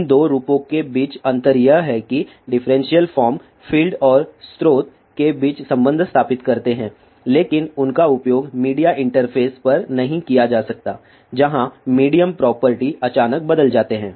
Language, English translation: Hindi, The difference between these two forms is that the differential form establish relationship between the field and the source but they cannot be used at media interphases where medium properties changes abruptly